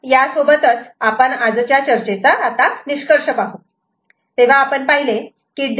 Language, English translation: Marathi, So, with this we conclude today’s discussion